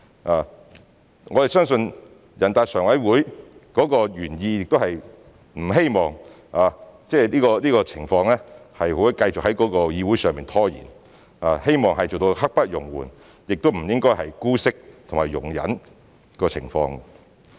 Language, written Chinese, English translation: Cantonese, 我們相信人大常委會的原意是不希望這個情況繼續在議會內拖延，希望做到刻不容緩，不應姑息及容忍該情況。, We believe the original intention of NPCSC is that this situation is not expected to continue in the Council and seek to achieve no delay no condoning and no tolerance